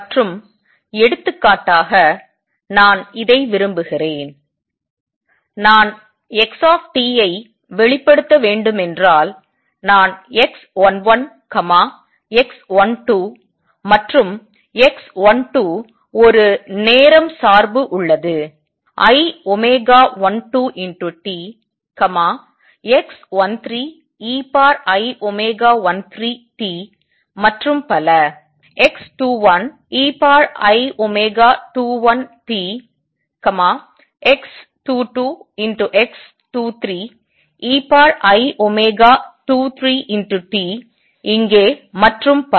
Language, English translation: Tamil, And I like this for example, if I were to express xt I would write this as x 11, x 12 and x 12 has a time dependence i, x 13 e raise to i omega 13 and so on; x 21 e raise to i omega 21 t, x 22 x 23 e raise to i omega 23 t, t here and so on